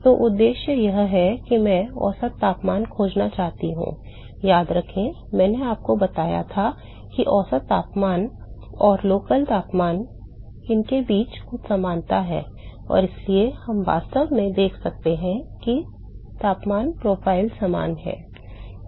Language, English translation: Hindi, So, the objective is I want to find the mean temperature, remember I told you that the mean temperature or the average temperature, and the local temperature there is some similarity between them and therefore, we can actually see that the temperature profiles are similar